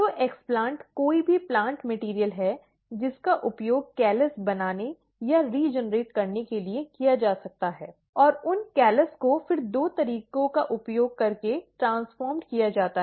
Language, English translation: Hindi, So, explant is any plant material which can be used to make or regenerate callus and those calluses are then transformed using two methods